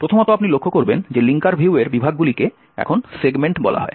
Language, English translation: Bengali, First, you would notice that the sections in the linker view now called segments